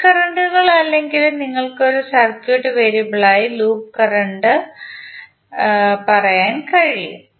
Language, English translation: Malayalam, Mesh currents or you can say loop current as a circuit variable